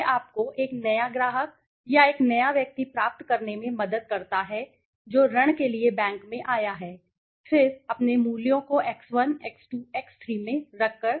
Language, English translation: Hindi, It helps you to suppose you get a new client or a new person who has come approach the bank for a loan then by placing his values the x1, x2, x3